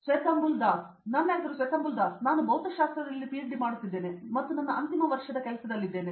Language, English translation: Kannada, My name is Swethambul Das and I am doing PhD in Physics and I am in my final year of work